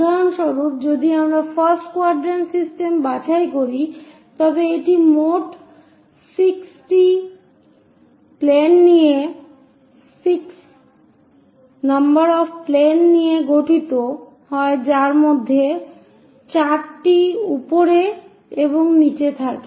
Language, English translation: Bengali, For example, if we are picking first quadrant system, it consists of in total 6 planes; 4 on the sides top and bottom thing